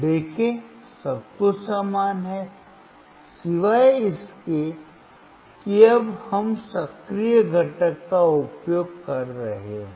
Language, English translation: Hindi, See everything is same, except that now we are using the active component